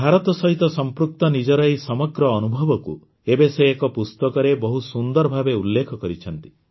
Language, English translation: Odia, Now he has put together all these experiences related to India very beautifully in a book